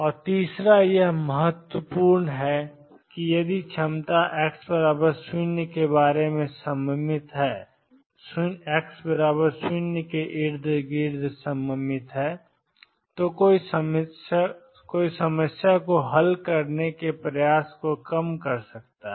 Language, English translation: Hindi, And third this is important if the potential is symmetric about x equals 0, one can reduce effort in solving the problem